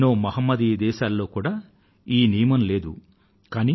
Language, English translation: Telugu, Even in many Islamic countries this practice does not exist